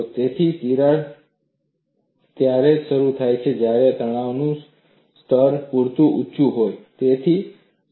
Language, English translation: Gujarati, So, the crack will initiate only when the stress levels are sufficiently high